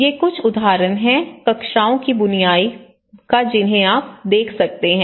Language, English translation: Hindi, So, these are some of the examples you can see that the weave of the classrooms